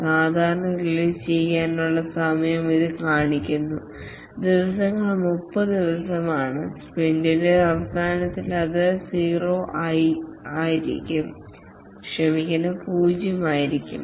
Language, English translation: Malayalam, Typically the days are 30 days and at the end of the sprint it should become zero